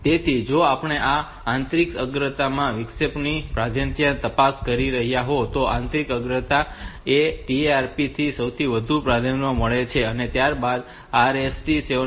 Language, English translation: Gujarati, So, if we looking into this internal into priority of this interrupt that internal priority, so that trap has got the highest priority followed by; 7